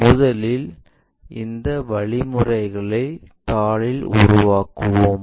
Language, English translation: Tamil, First of all let us construct these steps on our sheet